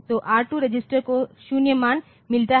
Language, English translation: Hindi, So, the R2 register gets the 0 value